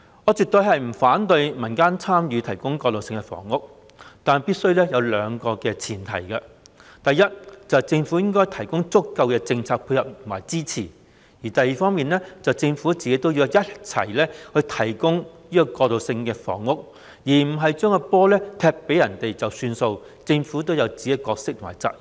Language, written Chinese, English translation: Cantonese, 我絕對不反對民間參與提供過渡性房屋，但必須先滿足兩個先決條件：第一，政府須提供足夠的政策配合和支持；第二，政府自己也要提供過渡性房屋，而不是將球踢給民間便了事，政府應有自己的角色和責任。, I definitely do not object to community participation in the provision of transitional housing but we must first meet two preconditions . First the Government must provide sufficient matching policy measures and support; second the Government should also take part in the provision of transitional housing rather than leaving it entirely in the hands of the community bodies . The Government should have its own roles and responsibilities